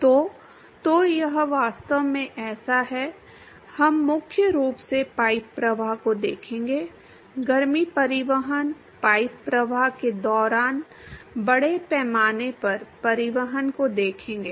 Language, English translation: Hindi, So, so it is really like, we will predominantly look at pipe flow, look at heat transport, mass transport during pipe flow